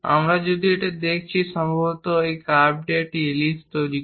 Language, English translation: Bengali, If we are looking at this, perhaps this curve forms an ellipse